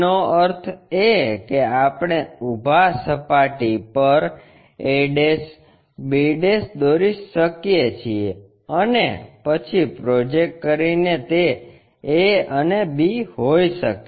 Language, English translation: Gujarati, That means, can we draw on the vertical plane the a', b', and then project it maybe a and b